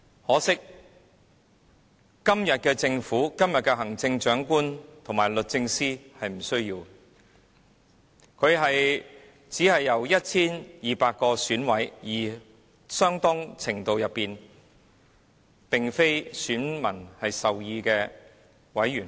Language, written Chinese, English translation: Cantonese, 可惜，今天的政府、行政長官和律政司不需要面對這種後果，因他只是由 1,200 名選委，相當程度上並非由選民授權的選委選出。, But regrettably the Government today the Chief Executive and the Department of Justice will not need to be face such consequences since the Chief Executive is elected by only 1 200 members of the Election Committee and they do not have the voters mandate to a very large extent